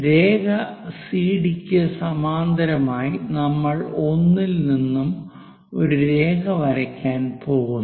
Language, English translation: Malayalam, Parallel to this CD line we are going to draw a line at 1